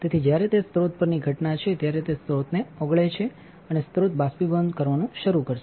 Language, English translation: Gujarati, So, when it is incident on the source it will melt the source and the source will start evaporating